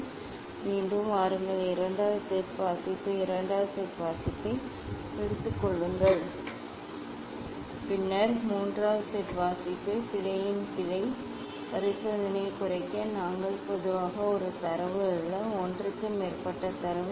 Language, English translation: Tamil, just you disturb it and come back again take second set reading second set reading, then third set reading the just to minimize the error experiment of error we take generally not a one data or more than one data